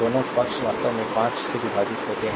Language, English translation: Hindi, Both side actually divided by 5